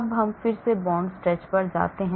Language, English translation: Hindi, now let us go to bond stretch again